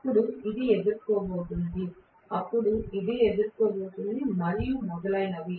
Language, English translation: Telugu, Then this is going to face it, then this is going to face it and so on and so forth